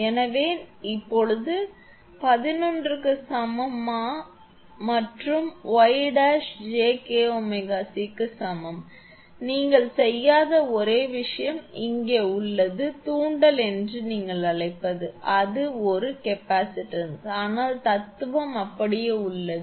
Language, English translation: Tamil, Now, Z dash is equal to one upon j omega C and Y dash is equal to j omega KC; only thing is here actually you do not have what you call that inductance it is a capacitance, but philosophy remains same